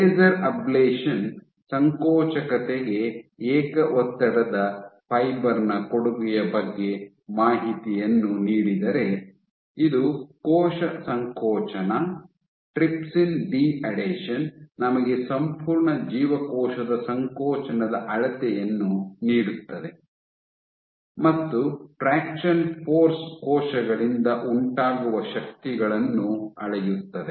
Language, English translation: Kannada, While laser ablation gives us information about contribution of single stress fiber to contractility, this is cell contractility, trypsin de adhesion gives us a whole cell contractility measure, and traction force gives us forces it main measures forces exerted by cells